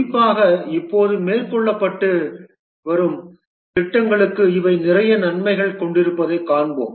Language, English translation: Tamil, We will see that these have a lot of advantages, especially for the projects that are being undertaken now